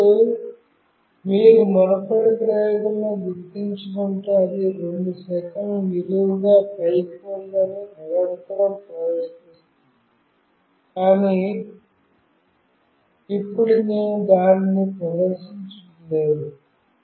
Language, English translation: Telugu, Now, if you recall in the previous experiment, it was continuously displaying that it is vertically up in 2 seconds, but now I am not displaying that